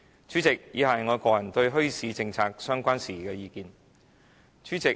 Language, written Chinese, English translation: Cantonese, 主席，以下是我個人對墟市政策相關事宜的意見。, President the following are my personal views on matters relating to the policy on bazaars